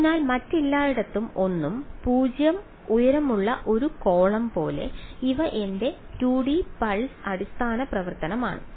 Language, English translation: Malayalam, So, its like a its a column of height 1, 0 everywhere else these are my 2D pulse basis function